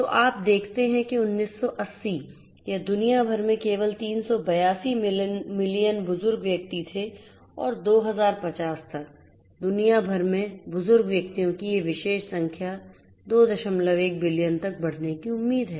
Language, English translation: Hindi, So, you see that 1980, it was only 382 million elderly persons all over the world and by 2050, this particular number of elderly persons is expected to grow to 2